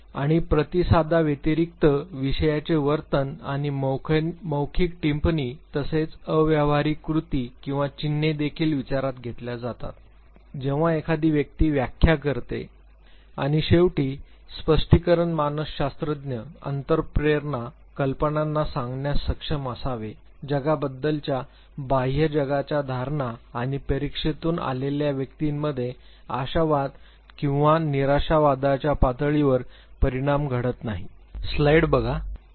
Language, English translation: Marathi, And the behavior of the subject apart from the response and very interestingly the verbal remarks as well as nonverbal actions or signs are also considered when one makes interpretation and at the end of, the interpretation finally, the psychologist should be able to tell attitude fantasies inner conflicts the view of the outside world assumptions about the world and the level of optimism or pessimism in the person who has undergone the test